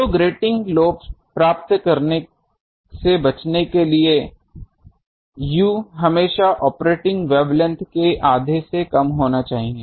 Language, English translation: Hindi, So, to avoid getting the lobe, u should be always less than half of the operating wavelength